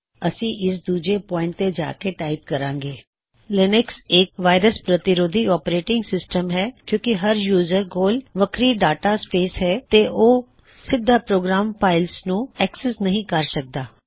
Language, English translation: Punjabi, We will go to point number 2 and type Linux is a virus resistant operating system since each user has a distinct data space and cannot directly access the program files